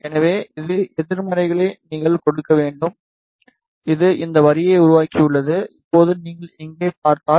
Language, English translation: Tamil, So, you need to give negative of that this has this has created the line, now if you see here ok